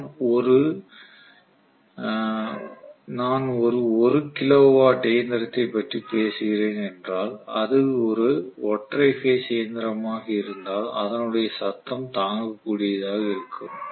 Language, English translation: Tamil, So if I am talking about a 1 kilo watt machine which is a single phase machine the noise is still tolerable